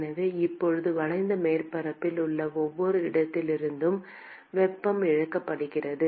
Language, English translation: Tamil, So, now, the heat is lost from every location in the curved surface